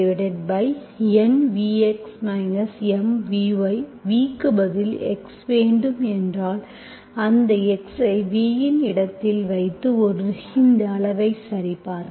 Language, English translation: Tamil, If v you want x, then you put that x in the place of v and you verify this quantity